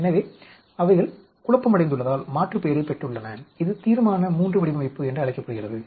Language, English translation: Tamil, So because they are confounded, there is aliased and this is called a Resolution III design